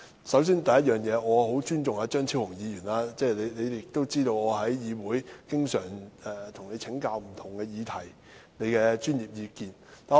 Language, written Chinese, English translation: Cantonese, 首先，我很尊重張超雄議員，我在議會中經常向他請教不同議題，聽他的專業意見。, First of all I highly respect Dr Fernando CHEUNG . I often ask him for advice and professional opinions on different issues in the Council